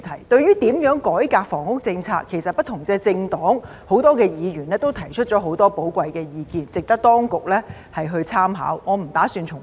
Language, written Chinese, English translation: Cantonese, 對於如何改革房屋政策，其實不同政黨和很多議員都提出了很多寶貴的意見，值得當局參考，我不打算重複。, Regarding how the housing policy should be reformed actually various political parties and many Members have put forward a lot of valuable views worthy of reference by the authorities and I am not going to make any repetition